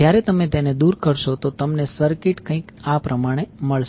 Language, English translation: Gujarati, When, you remove you get the circuit like this